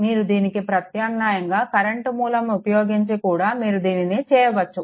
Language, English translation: Telugu, Similarly, you can do it alternatively current source also you can make it